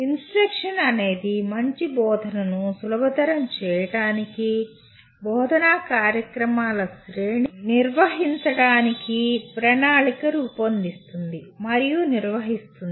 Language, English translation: Telugu, And instruction is planning and conducting or arranging a series of learning events to facilitate good learning